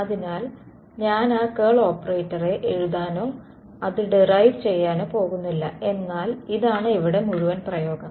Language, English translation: Malayalam, So, I am not going to write down that curl operator and derive it, but this is the whole expression over here